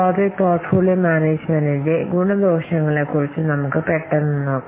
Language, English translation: Malayalam, Now, let's quickly see about this pros and cons of the project portfolio management